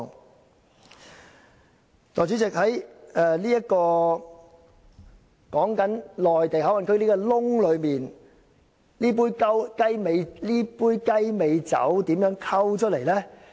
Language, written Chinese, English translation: Cantonese, 代理主席，在內地口岸區這個"洞"內，究竟這杯"雞尾酒"是如何"混"出來的呢？, Deputy Chairman how would this glass of cocktail be mixed inside the hole the Mainland Port Area MPA?